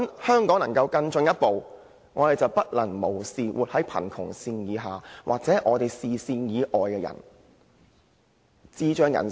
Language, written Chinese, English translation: Cantonese, 香港如果要更進一步，便不能夠對生活在貧窮線以下或視線以外的人視若無睹。, If Hong Kong wishes to go forward we must not neglect the people living under the poverty line or those beyond our sight